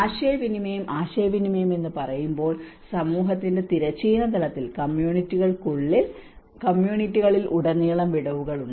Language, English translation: Malayalam, When we say the communication, communication first of all there are gaps within the horizontal level of community, within the communities also, across the communities